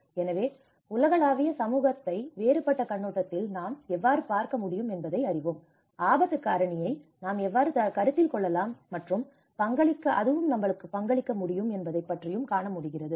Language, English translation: Tamil, So, how we can actually look a global community in a different perspective know, how we are actually able to consider and contribute to the risk factor